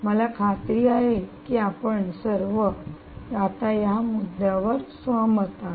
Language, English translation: Marathi, i am sure you will all agree to this point